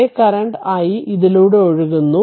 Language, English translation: Malayalam, This same current i is flowing through this right